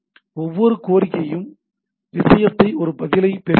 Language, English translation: Tamil, Every request get a response to the thing